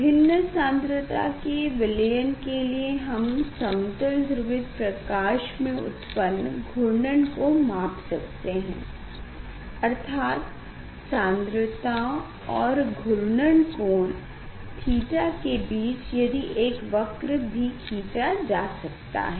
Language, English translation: Hindi, for different concentration of the solution if we can measure the rotation of the plane polarization light; that means, concentration versus the rotation that angle theta